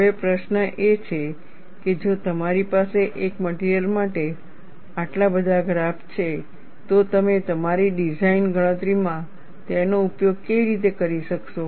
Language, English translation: Gujarati, Now, the question is if you have so many graphs for one material, how will you be able to use this, in your design calculation